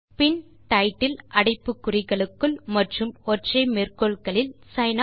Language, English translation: Tamil, Then title within brackets and single quotes sin